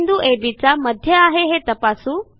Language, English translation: Marathi, How to verify C is the midpoint of AB